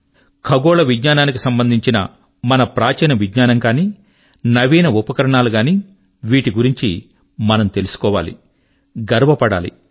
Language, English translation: Telugu, Whether it be our ancient knowledge in astronomy, or modern achievements in this field, we should strive to understand them and feel proud of them